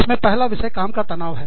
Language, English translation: Hindi, The first topic in this, is work stress